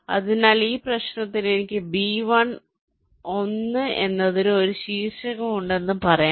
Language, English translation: Malayalam, so for this problem, let say i have a vertex for b one, i have a vertex for b two